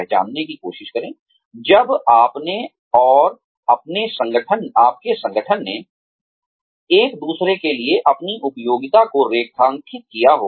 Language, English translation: Hindi, Try to recognize, when, you and your organization, have outlived your utility, for each other